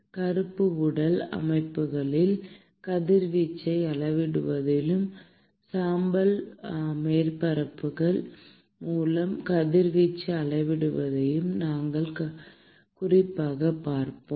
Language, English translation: Tamil, And we will specifically look at quantifying radiation in black body systems and quantifying radiation through gray surfaces